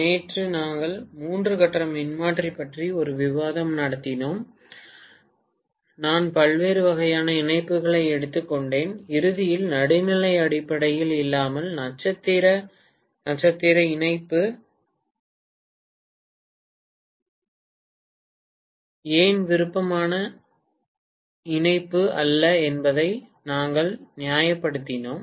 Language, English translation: Tamil, Yesterday, we had a discussion on three phase transformer, I took up different types of connection and towards the end we actually justified as to why star star connection especially without neutral grounding is not a preferred connection